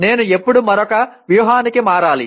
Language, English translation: Telugu, When should I switch to another strategy